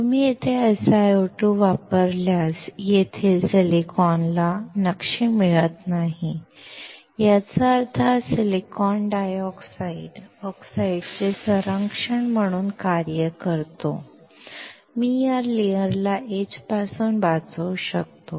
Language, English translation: Marathi, If you use SiO2 here, the silicon here is not getting etch; that means, this silicon dioxide acts as protecting oxide, it can protect this layer from getting etched